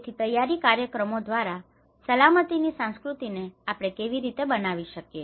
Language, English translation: Gujarati, So how we can build this culture of safety through the preparedness programs